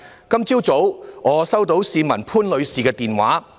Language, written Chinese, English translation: Cantonese, 今早我收到一名市民潘女士的電話。, This morning I received a call from a citizen Ms POON